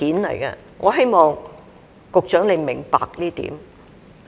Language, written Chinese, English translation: Cantonese, 我希望局長明白這一點。, I hope the Secretary will understand this